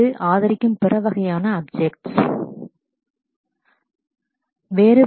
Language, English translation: Tamil, Other kinds of objects that it supports